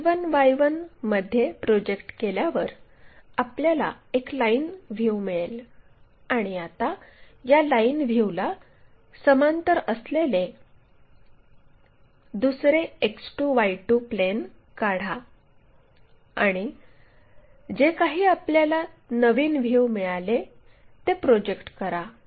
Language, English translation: Marathi, Now, draw X 2, Y 2 again parallel to this project all this line to X 1, Y 1 which we will get a line view and now, draw another XY X 2, Y 2 plane parallel to this line view and project whatever the new view we got it